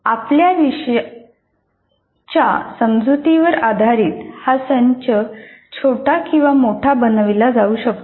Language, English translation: Marathi, So, the set can be made smaller or bigger based on your perception of the course